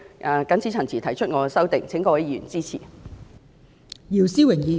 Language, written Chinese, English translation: Cantonese, 我謹此陳辭，請各位議員支持我所提出的修正案。, With these remarks I beg Members to support my amendment